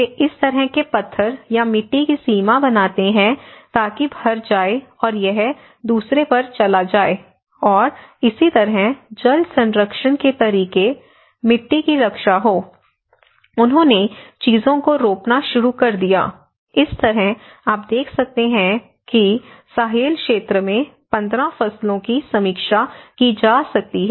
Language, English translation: Hindi, So that they make this kind of stone bounds or maybe a soil bounds, so that one is filled and it goes to the another and that is how the water conservation methods on, so that the soil is protected, they started planting the things so, in that way you can see that a review of 15 crops you know in the Sahel region